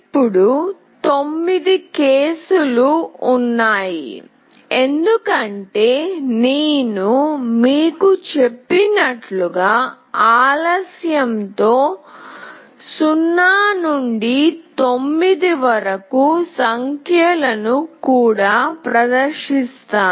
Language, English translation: Telugu, Now, there are 9 cases because as I have told you, I will be displaying from 0 till 9 with a delay